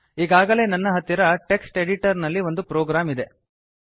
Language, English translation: Kannada, I already have a program in a text editor